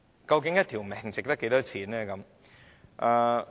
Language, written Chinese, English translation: Cantonese, 究竟一條性命值多少錢呢？, What is the value of a human life?